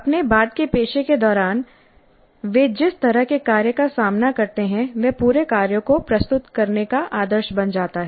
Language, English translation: Hindi, So the kind of task that they encounter during their later profession, that becomes the model for presenting the whole tasks